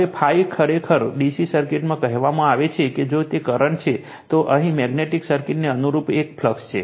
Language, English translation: Gujarati, Now, phi actually in DC circuits say if it is a current, here analogous to magnetic circuit is a flux